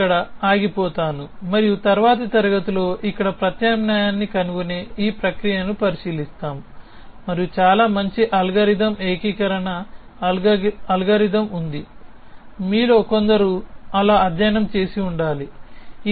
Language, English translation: Telugu, So, I will stop here and in the next class we will look at this process of finding the substitution here and there is a very nice algorithm call unification algorithm which some of you must have studied for doing so